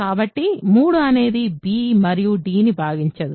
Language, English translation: Telugu, So, 3 does not divide b and d